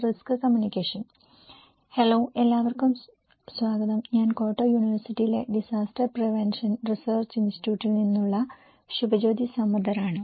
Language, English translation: Malayalam, Hello, everyone, I am Subhajyoti Samaddar from the Disaster Prevention Research Institute, Kyoto University